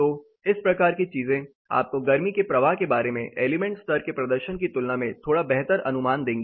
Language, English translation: Hindi, So, these kinds of things will give you slightly better idea than the element level performance about the heat flow